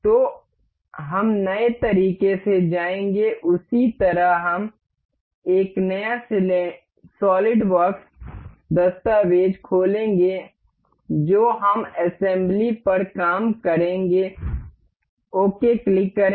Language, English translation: Hindi, So, we will go by new in the same way we will open a new solidworks document that is we will work on assembly, click ok